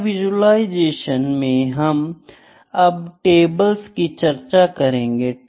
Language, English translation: Hindi, Now, next in data visualisation next comes is tables